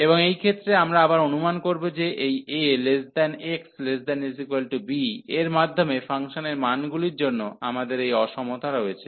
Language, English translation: Bengali, And in this case, again we suppose that we have this inequality for the values of the function between this a to b